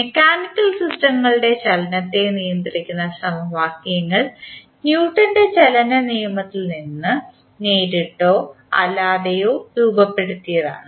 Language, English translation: Malayalam, The equations governing the motion of mechanical systems are directly or indirectly formulated from the Newton’s law of motion